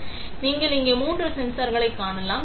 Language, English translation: Tamil, So, you can see three sensors here